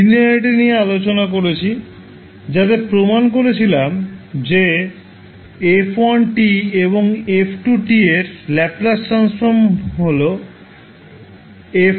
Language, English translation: Bengali, We discussed about linearity, so in that we demonstrated that if the Laplace transform of f1 t and f2 t are F1 s and F2 s